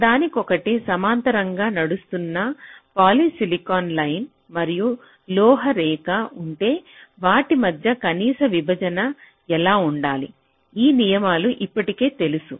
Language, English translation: Telugu, so if there is a poly silicon line and metal line running parallel to each other, what should be the minimum separation between them